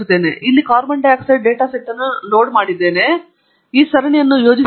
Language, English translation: Kannada, And here, I have loaded the carbon dioxide data set and we shall plot this series